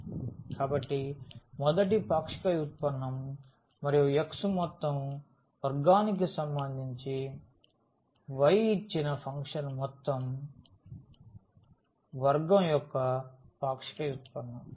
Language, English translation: Telugu, So, the first partial derivative with respect to x whole square plus the partial derivative with respect to y of the given function whole square